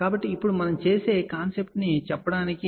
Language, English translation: Telugu, So, now, just to tell the concept what we do